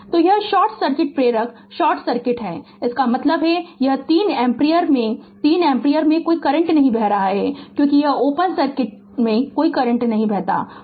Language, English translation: Hindi, So, it is short circuit inductor is short circuit; that means, this 3 ampere there is no current is flowing through 3 ampere because it is open circuit right no current is flowing